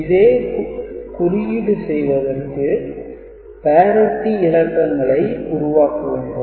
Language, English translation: Tamil, So, if you want to code it, then the parity bits need to be generated